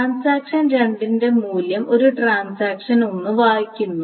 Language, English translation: Malayalam, So transaction 2 reads of value A that is produced by transaction 1